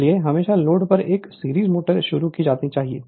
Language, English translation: Hindi, Therefore, a series motor should always be started on load